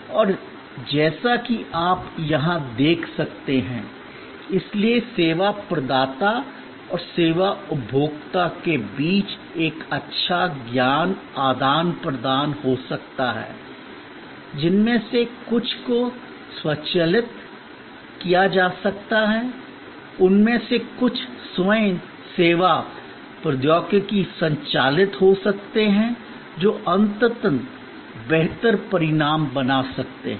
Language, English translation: Hindi, And as you can see here therefore, a good knowledge exchange between the service provider and the service consumer, some of that can be automated, some of them can be self service technology driven can create ultimately a better outcome